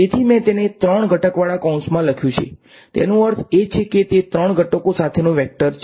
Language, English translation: Gujarati, So, I have written it in brackets with three component; that means, that it is a vector with three components